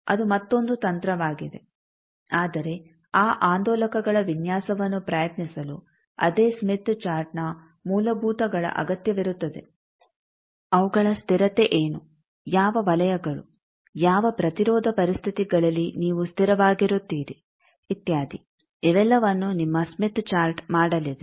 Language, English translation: Kannada, That is another technique, but the same smith chart fundamentals will be needed there at m those oscillators design what is its stability, which zones are under which impedance conditions you are stable etcetera all this your smith chart will be doing